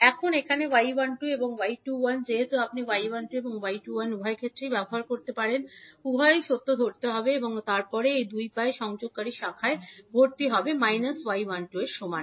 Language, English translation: Bengali, Now, here since y 12 is equal to y 21 so you can use either y 12 or y 21 both are, both will hold true and then the branch which is connecting these two legs will have the admittance equal to minus of y 12